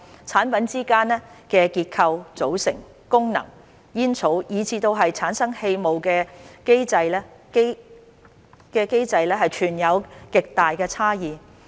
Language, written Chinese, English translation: Cantonese, 產品之間在結構、組成、功能、煙草，以至產生氣霧的機制存有極大差異。, HTPs vary widely in terms of construction composition device setting and mechanisms for heating tobacco and generating aerosol